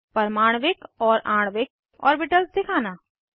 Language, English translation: Hindi, Display Atomic and Molecular orbitals